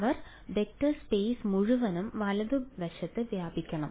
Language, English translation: Malayalam, They should span the whole vector space right